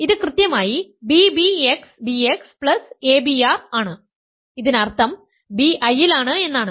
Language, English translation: Malayalam, This is exactly b b x b x plus a b r this means b is in I